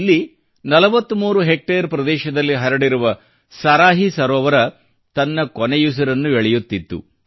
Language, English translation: Kannada, Here, the Saraahi Lake, spread across 43 hectares was on the verge of breathing its last